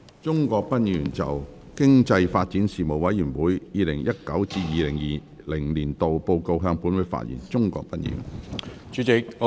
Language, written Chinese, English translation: Cantonese, 鍾國斌議員就"經濟發展事務委員會 2019-2020 年度報告"向本會發言。, Mr CHUNG Kwok - pan will address the Council on the Report of the Panel on Economic Development 2019 - 2020